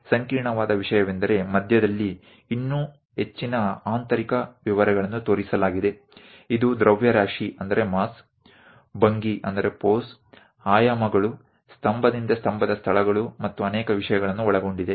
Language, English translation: Kannada, The complicated thing though having many more inner details shown at the middle; it contains mass, pose, the dimensions, pillar to pillar locations, and many things